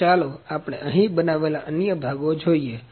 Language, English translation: Gujarati, So, let us see the other parts which are manufactured here